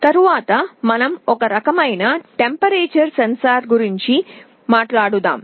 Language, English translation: Telugu, Next let us talk about one kind of temperature sensor